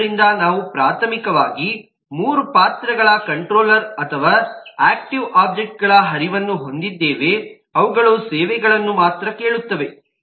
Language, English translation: Kannada, so we have seen that we have primarily flow controller or active object flow who only asks for services